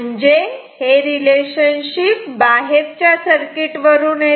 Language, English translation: Marathi, So, this comes from the external circuitry